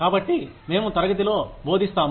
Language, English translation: Telugu, So, we teach in class